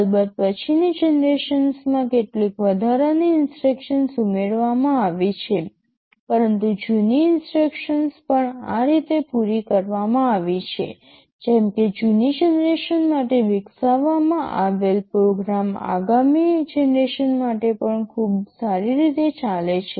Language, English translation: Gujarati, Of course in the later generations some additional instructions have been added, but the older instructions are also carried through, such that; a program which that was developed for a older generation would run pretty well for the next generation also right